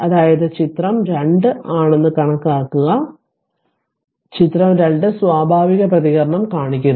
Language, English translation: Malayalam, So, figure this is your figure 2 this is your figure 2 figure 2 shows the natural response